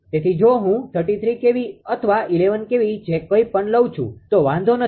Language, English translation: Gujarati, So, if I take 33 kv or 11 kv whatsoever right does not matter